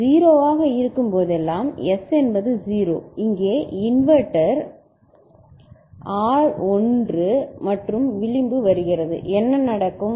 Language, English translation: Tamil, So, whenever it is 0, so S is 0; inverter here so, R is 1 and edge comes, what will happen